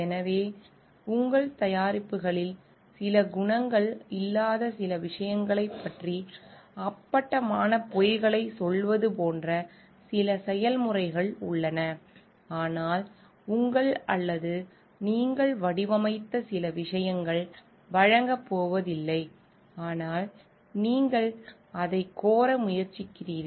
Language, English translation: Tamil, So, there are certain processes like, by telling outright lies about certain things where certain qualities are not there in your products, but your or certain things which you designed is not going to provide to, but you are trying to claim it